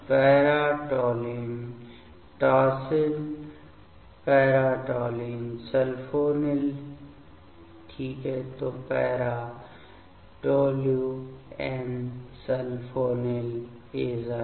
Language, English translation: Hindi, Para toluene tosyl is para toluene sulfonyl ok; so para toluenesulfonyl azide fine